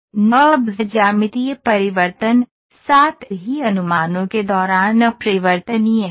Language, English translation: Hindi, NURBS are invariant during geometric transformation, as well as projections